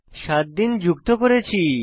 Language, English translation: Bengali, We have added seven days